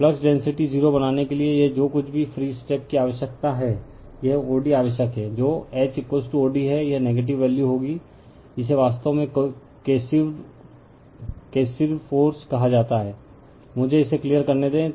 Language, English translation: Hindi, This is your whatever free step is required right to make the flux density is 0, this o d is required that is your H is equal to o d, this will be negative value, this is actually called coercive force right let me clear it